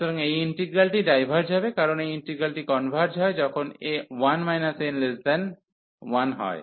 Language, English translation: Bengali, So, this integral will diverge, because this integral converges when 1 minus n is less than 1